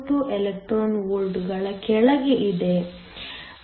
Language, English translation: Kannada, 42 electron volts